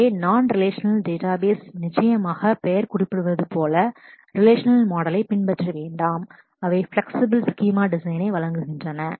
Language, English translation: Tamil, So, that in non relational databases certainly as the name suggests, do not follow relational model, they offer flexible schema design